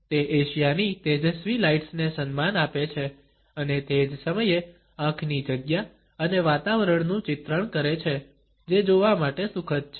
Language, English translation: Gujarati, It pays homage to the bright lights of Asia and at the same time portrays eye space and atmosphere which is soothing to look at